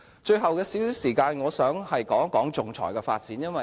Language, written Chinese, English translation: Cantonese, 最後有少許時間，我想談談仲裁的發展。, Lastly I would like to spend the rest of my speaking time on the development of arbitration